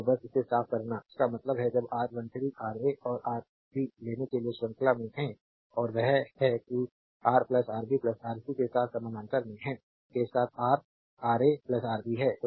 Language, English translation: Hindi, So, just cleaning it so; that means, your when to take R 1 3 Ra and Rb are in series and that is Ra plus Rb with that that Ra plus Rb is in parallel with Rc